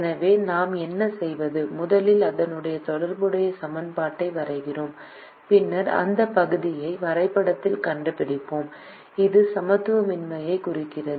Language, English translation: Tamil, so what we do is we draw first the corresponding equation and then we find out that area in the graph which maps to the inequality